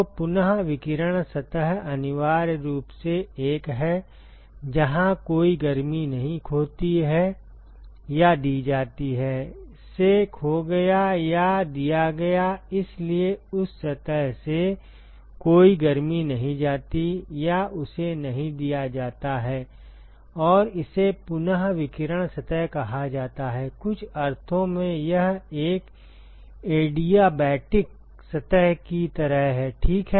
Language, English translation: Hindi, So, re radiating surface is essentially the one, where no heat is lost or given; lost from or given to; so no heat is lost from or given to that surface and that is what is called as a re radiating surface in say in some sense is like a an adiabatic surface ok